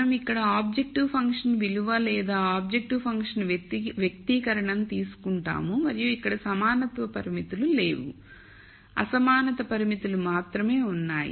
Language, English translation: Telugu, So, we take the objective function value or the objective function expression here and then there are no equality constraints here, there are only inequality constraints